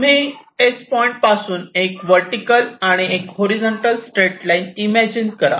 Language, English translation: Marathi, you start, in a similar way, a horizontal and a vertical straight line